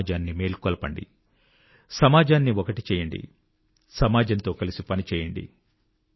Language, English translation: Telugu, We must wake up the society, unite the society and join the society in this endeavour